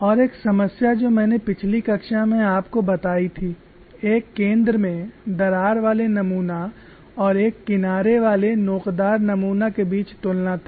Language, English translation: Hindi, One of the issues which I pointed out to you in the last class was a comparison between a center crack specimen and a single edge notch specimen